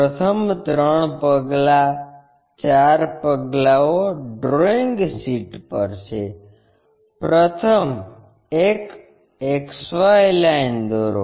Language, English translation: Gujarati, The first three step, four steps are on the drawing sheet; first draw a XY line